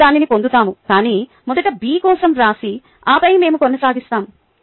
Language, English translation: Telugu, we will get to that, but first write it for b and then we will continue